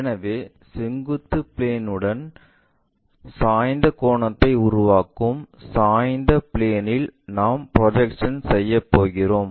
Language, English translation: Tamil, So, we are going to take projections onto that inclined plane that inclined plane making inclination angle with vertical plane